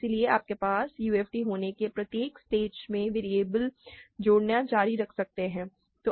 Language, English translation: Hindi, So, you can keep adding variables at each stage you have a UFD